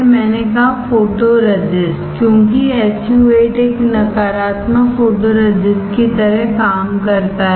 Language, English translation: Hindi, I said photoresist, because SU 8 works like a negative photoresist